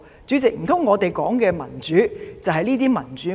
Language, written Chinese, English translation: Cantonese, 主席，難道我們說的民主便是這種民主嗎？, President could this be the kind of democracy we are talking about?